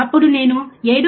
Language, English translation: Telugu, Then I can write 7